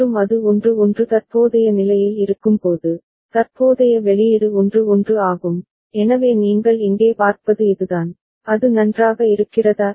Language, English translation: Tamil, And when it is at 1 1 current state, then the current output is 1 1, so that is what you see over here, is it fine